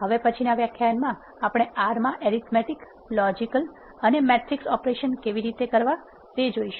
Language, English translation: Gujarati, In the next lecture we are going to see how to do arithmetic logical and matrix operations in r